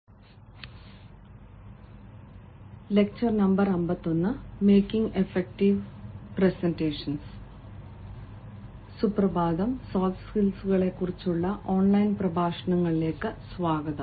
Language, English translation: Malayalam, good morning friends, and welcome back to online lectures on soft skills